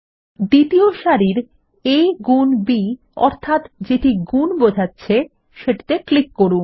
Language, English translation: Bengali, Let us click on a into b in the second row denoting multiplication